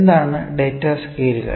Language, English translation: Malayalam, What are data scales